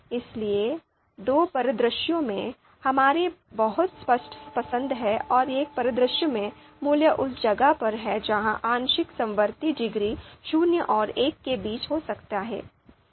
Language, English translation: Hindi, So, two scenarios very clear preference and the one scenario lies in between where the partial concordance degree can be between zero and one